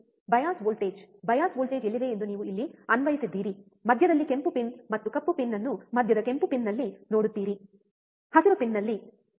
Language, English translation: Kannada, You have applied here where are the bias voltage bias voltage is here, you see the red pin and black pin in the center in the center red pin, right in green pin, right